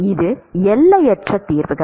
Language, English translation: Tamil, It is infinite solutions